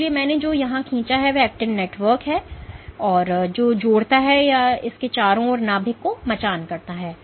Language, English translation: Hindi, So, what I have drawn here is the actin network which connects or which scaffolds the nucleus around it